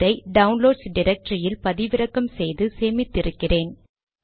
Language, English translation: Tamil, I have downloaded it in my downloads directory